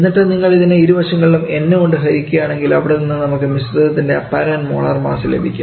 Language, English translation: Malayalam, And now if you divide this on both sides by this in then from there, we get the apparent molar mass of the mixture